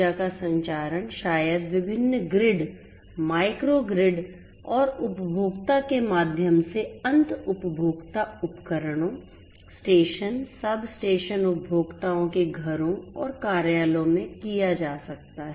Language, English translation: Hindi, Transmission of energy maybe right from the point of generation through different different grids micro grids and so on to the end consumer devices, substations station substations and so on to the homes and offices of the end consumers